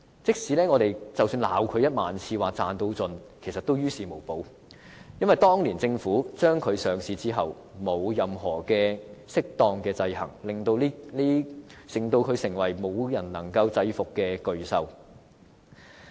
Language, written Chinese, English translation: Cantonese, 即使我們罵領展1萬次，說它賺到盡，其實也於事無補，因為當年政府讓它上市後沒有任何適當的制衡，令它成為無人能制伏的巨獸。, It is futile for us to condemn Link REIT 10 000 times for profit maximization because it was the Government which failed to put in place proper checks and balances after allowing Link REIT to be listed . As a result Link REIT has become a beast that no one can tame